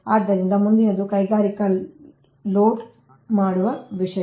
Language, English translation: Kannada, so next is this thing that industrial, industrial loads